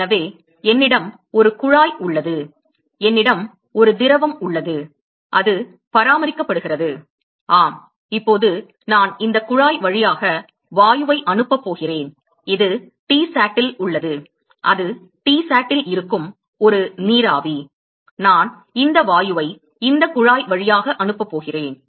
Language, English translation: Tamil, So, I have a tube here I have a fluid which is maintained at yes now I m going to pass gas through this tube and this is at Tsat; that is a vapor which is at T sat I am going to pass this gas through this tube